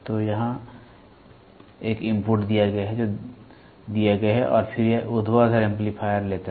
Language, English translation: Hindi, So, here is an input which is given and then this vertical amplifier takes